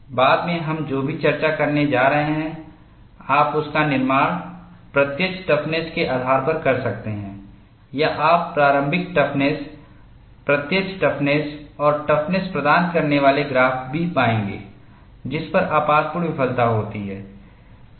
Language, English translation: Hindi, Whatever the discussion that we are going to do later, you could construct it based on the apparent toughness; or you would also find graph giving initiation toughness, apparent toughness and the toughness at which catastrophic failure occurs